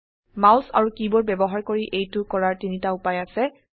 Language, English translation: Assamese, There are three ways of doing this using the mouse and the keyboard